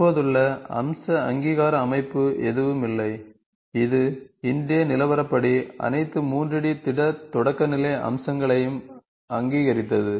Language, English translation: Tamil, There is no existing feature recognition system, that got recognise all 3D solid primitives as of today